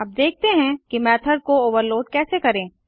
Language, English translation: Hindi, Let us now see how to overload method